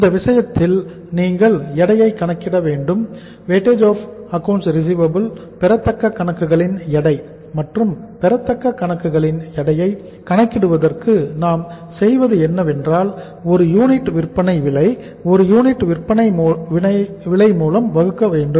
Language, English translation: Tamil, So in this case you have to calculate the weight of War weight of accounts receivable and for calculating the weight of accounts receivable what we do is selling price per unit divided by selling price per unit